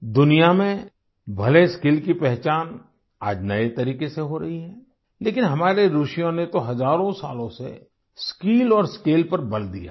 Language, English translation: Hindi, Even though skill is being recognized in a new way in the world today, our sages and seers have emphasized on skill and scale for thousands of years